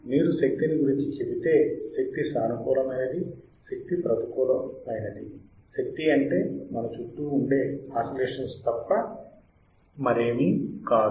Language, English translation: Telugu, If you say about energy, energy is a positive, energy negative energy is nothing but the oscillations around us oscillations around us